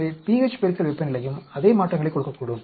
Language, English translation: Tamil, So, a temperature into pH may also give the same changes